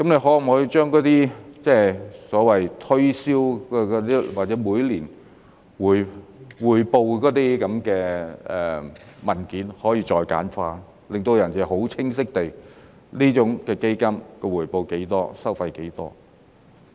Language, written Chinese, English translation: Cantonese, 可否把那些所謂推銷或每年匯報的文件再簡化呢？令人可以清晰地知道，基金的回報是多少、收費是多少。, Is it possible to further simplify those so - called promotion or annual reporting documents so that people will know clearly the returns and fees of the funds?